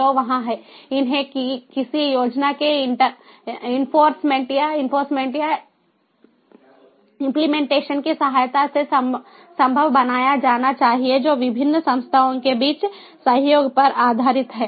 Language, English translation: Hindi, these has to be made possible with the help of enforcement of, or enforcement or implementation of, some scheme, ah, which is based on cooperation between the different entities, cooperation between the different entities